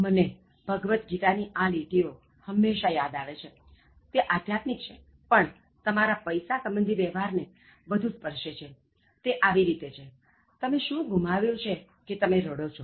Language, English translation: Gujarati, I always remember these lines from The Bhagavad Gita, especially, it is philosophical, but it is more related to the attitude that you should have in terms of money, it goes like this: “What have you lost that you cry for